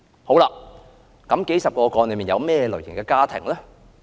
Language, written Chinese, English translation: Cantonese, 這數十宗個案包括哪些類型的家庭呢？, Which types of households were included in the dozens of cases involved?